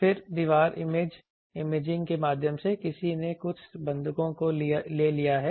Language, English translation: Hindi, Then through wall imaging, whether someone has taken some hostages